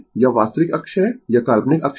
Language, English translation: Hindi, This is real axis, this is imaginary axis, right